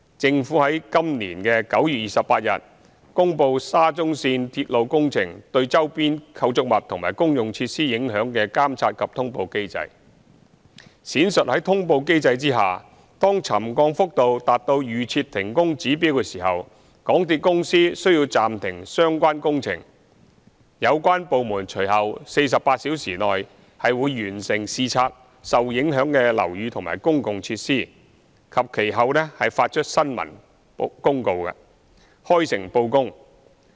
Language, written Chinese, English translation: Cantonese, 政府於今年9月28日公布沙中線鐵路工程對周邊構築物及公用設施影響的監察及通報機制，闡述在通報機制下，當沉降幅度達到預設停工指標時，港鐵公司需要暫停相關工程、有關部門於隨後48小時內會完成視察受影響的樓宇和公用設施及其後發出新聞公報，開誠布公。, The Government promulgated the monitoring and announcement mechanism for impact of SCL works on nearby structures and public facilities on 28 September this year elaborating that the MTRCL had to temporarily suspend the part of work when the extent of subsidence reached the pre - set trigger levels for suspension of works . Meanwhile the departments concerned would complete examining the affected buildings and public facilities within the subsequent 48 hours and issue a press release to make public the findings without any concealment